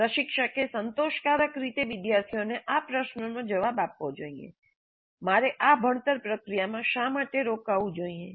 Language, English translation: Gujarati, Instructor must satisfactor, satisfactor, answer the student's question, why should I be engaged in this learning process